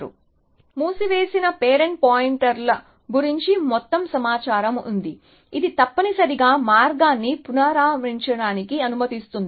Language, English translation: Telugu, Closed has all the information about parent pointers, which allows us to reconstruct the path essentially